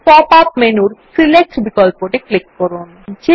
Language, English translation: Bengali, Now click on the Select option in the pop up menu